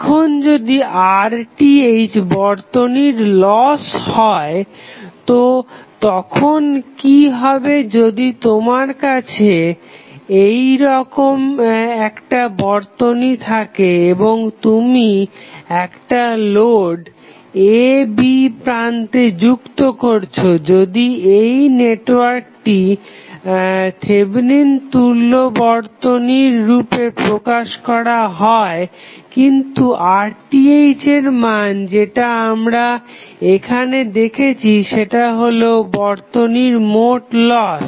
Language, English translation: Bengali, Now, if Rth is represented as loss of the circuit, so, what happens if you have the network like this and you are connecting load to this external terminal AB if this network is represented as Thevenin equivalent, but, the value of Rth which we are seeing here is nothing but total loss which is there in the network